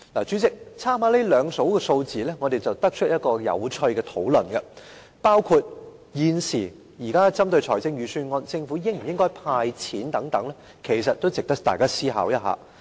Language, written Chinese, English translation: Cantonese, 主席，參考這兩組數字後，我們得出一個有趣的討論，包括就現時有關財政預算案中政府應否派錢等問題，其實也值得大家思考一下。, It seems that the Government can still make a lot of effort in this regard . President from these two groups of figures we can come up with an interesting discussion on the question of whether a cash handout should be included in the Budget